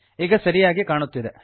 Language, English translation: Kannada, So now it looks okay